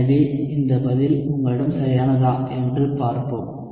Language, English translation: Tamil, So let us see if you have this answer correct